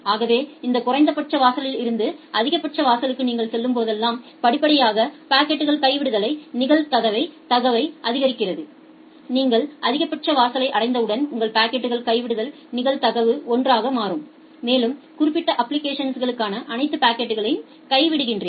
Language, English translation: Tamil, So, that is the significance here that as you are moving from this minimum threshold to the maximum threshold you are gradually increasing the packet drop probability and once you have reached to the maximum threshold, your packet drop probability becomes 1 and you drop all the packets for that particular application